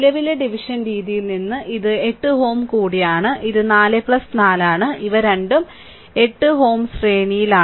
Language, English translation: Malayalam, So, from the current division method basically, this is also 8 ohm, this is also 4 plus 4 both are in series 8 ohm